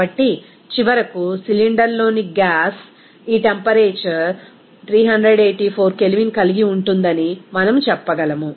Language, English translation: Telugu, So, finally, we can say that the gas in the cylinder will have this temperature of 384 K